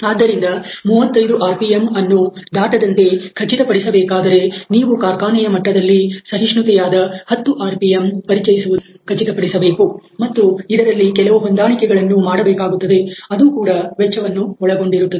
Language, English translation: Kannada, So, in order to ensure that this 35 rpm is not crossed over; you have to ensure that a very tight tolerances of 10 rpm is introduced in the factory level and there is some adjustment which is also taking some cost